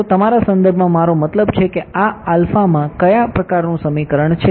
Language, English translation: Gujarati, So, in terms of your I mean what kind of an equation is this in alpha